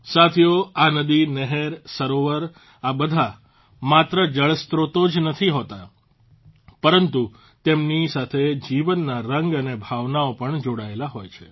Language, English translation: Gujarati, Friends, these rivers, canals, lakes are not only water sources… life's myriad hues & emotions are also associated with them